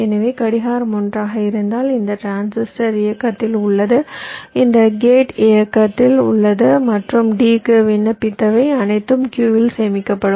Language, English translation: Tamil, so if clock is one, then this transistor is on, this gate is on and whatever i have applied to d, that will get stored in q